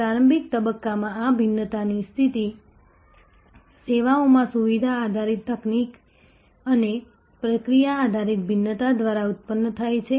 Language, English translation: Gujarati, In the early stage, this differentiation position is generated by feature driven technical and process based differentiation in services